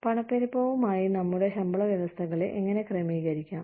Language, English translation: Malayalam, How does inflation, affect our pay systems